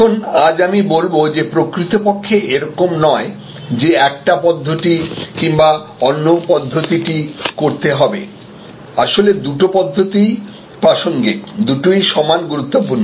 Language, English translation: Bengali, Now, today I would say that actually these are not to either or approaches, but rather both approaches will be relevant, but the importance of the two